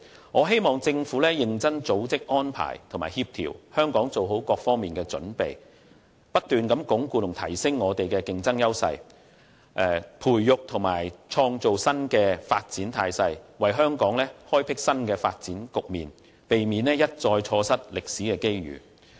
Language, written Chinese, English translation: Cantonese, 我希望政府會認真組織、安排和協調，令香港在各方面均能作好準備，不斷鞏固和提升我們的競爭優勢，並培育和創造新的發展態勢，為香港開闢新的發展局面，避免一再錯失歷史機遇。, I hope the Government will earnestly organize arrange and coordinate to get Hong Kong prepared in various perspectives not only to continuously consolidate and enhance our competitive edges but also to drive and create new development momentum and open up new development horizons so as not to miss the historic opportunities again